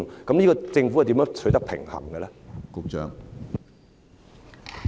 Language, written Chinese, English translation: Cantonese, 就此，政府如何取得平衡呢？, In this regard how will the Government achieve a balance?